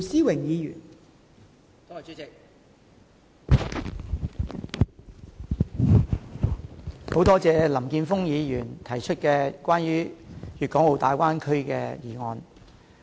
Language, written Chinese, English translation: Cantonese, 代理主席，感謝林健鋒議員提出關於粵港澳大灣區的議案。, Deputy President I thank Mr Jeffrey LAM for proposing this motion on the Guangdong - Hong Kong - Macao Bay Area